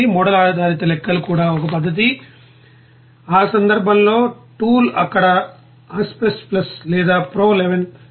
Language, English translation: Telugu, Even model based calculations also one method, in that case the tool is Aspen Plus or Pro II there